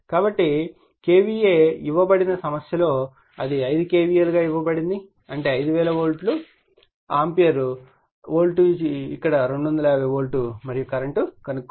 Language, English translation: Telugu, So, KVA it is given in the problem it is given 5 KVA; that means, 5000 volt ampere = voltage is 250 volt here and current you have to determine